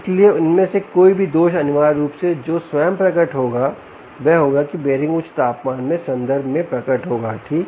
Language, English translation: Hindi, so any of these defects, essentially what it will manifest itself will be that the bearing will manifest in terms of higher temperature, right